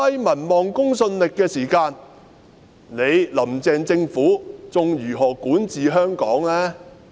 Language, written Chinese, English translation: Cantonese, 民望和公信力這麼低的時候，"林鄭"政府還如何管治香港呢？, When its popularity and credibility are so low how can the Carrie LAM Administration govern Hong Kong?